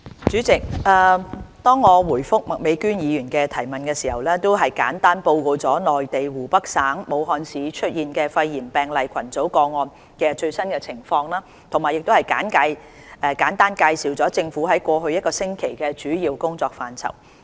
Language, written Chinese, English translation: Cantonese, 主席，在答覆麥美娟議員的質詢時，我已簡單報告了內地湖北省武漢市出現肺炎病例群組個案的最新情況，並簡單介紹政府在過去1星期的主要工作範疇。, President in reply to the question raised by Ms Alice MAK I have briefly reported the latest development of the cluster of pneumonia cases in Wuhan Hubei Province and the major areas of work undertaken by the Government over the past week